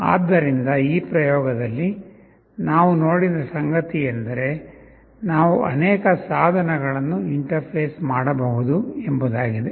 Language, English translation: Kannada, So, in this experiment what we have seen is that we can have multiple devices interfaced